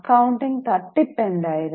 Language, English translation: Malayalam, What was the accounting fraud